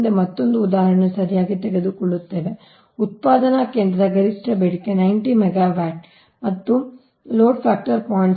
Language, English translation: Kannada, next will take another example: right, a peak demand of a generating station is ninety megawatt and load factor is point six